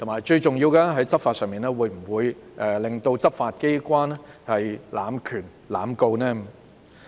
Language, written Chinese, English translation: Cantonese, 最重要的是，在執法上會否讓執法機關濫權、濫告？, Most importantly in terms of enforcement will it allow abuse of power and indiscriminate prosecution by the law enforcement agency?